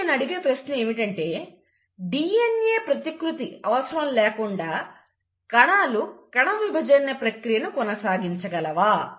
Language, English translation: Telugu, So it is not possible for a cell to divide without the process of DNA replication